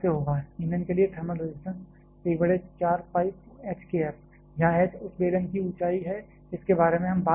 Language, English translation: Hindi, So, is equal to 1 by 4 pi H to k f where H is the height of the cylinder that we are talking about